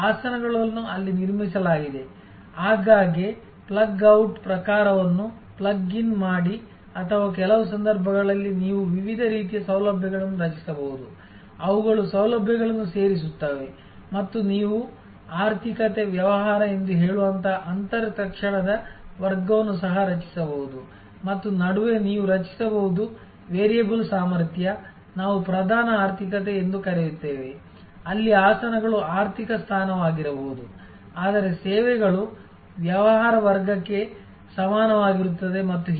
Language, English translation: Kannada, The seats are so constructed there often plug in plug out type or in some cases you can create different kinds of facilities, which are add on facilities and you can even create an inter immediate class like say economy, business and in between you can create a variable capacity for, what we call a premier economy, where seats may be an economy seat, but the services will be equivalent to business class and so on